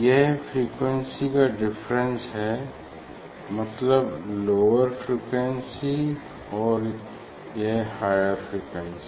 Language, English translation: Hindi, this is this frequency is difference means lower frequency ok and this is the higher frequency